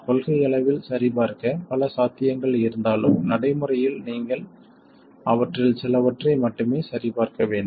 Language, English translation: Tamil, So although in principle there are many possibilities to check, in practice you have to check only a few of them